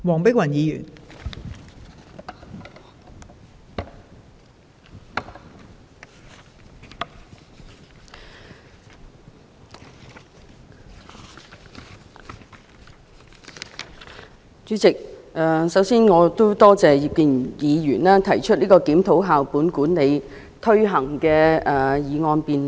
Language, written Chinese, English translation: Cantonese, 代理主席，我首先感謝葉建源議員動議這項"檢討校本管理的推行"議案的辯論。, Deputy President first of all I would like to thank Mr IP Kin - yuen for moving this motion on Reviewing the implementation of school - based management